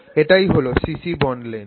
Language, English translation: Bengali, So, c bond length